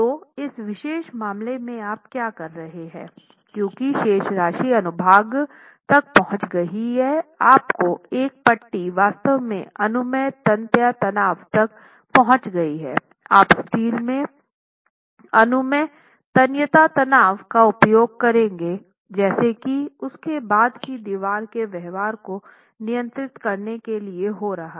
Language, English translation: Hindi, So, in this particular case, what you are doing is with respect to the since the balance section has been reached, that is one of your bars has actually reached the permissible tensile stress, you will use the permissible tensile stress in the steel as what is going to govern the behaviour of the wall thereafter